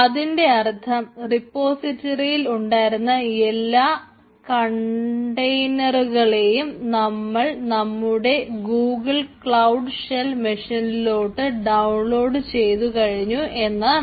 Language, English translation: Malayalam, so that means the all the all the contents from this repository has been downloaded in my local google cloud shell machine